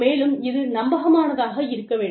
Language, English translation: Tamil, And, it should be credible